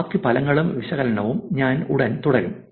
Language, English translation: Malayalam, I will continue with the rest of the results and analysis soon